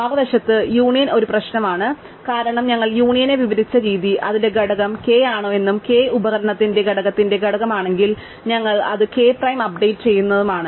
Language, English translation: Malayalam, On the other hand, union is a problem because the way we have described union, we have to go through every node, check if its component is k and if its component is k, if component of i is k, we have to update it k prime, right